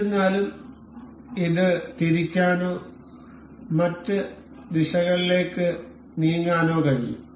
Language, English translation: Malayalam, So, however, it can rotate or move in other directions as well